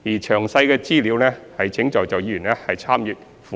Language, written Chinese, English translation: Cantonese, 詳細資料請在座議員參閱附件。, Members please refer to the Annex for details